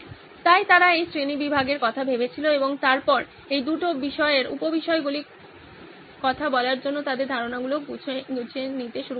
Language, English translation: Bengali, So they thought of this classification and then started clustering their ideas around these two topics, sub topics so to speak